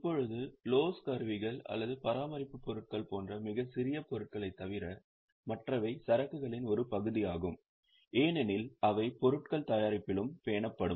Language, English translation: Tamil, Now, apart from these very small items like loose tools or maintenance supplies, they are also part of inventory because they would be also absorbed into the product